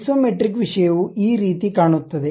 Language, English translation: Kannada, This is the way the Isometric thing really looks like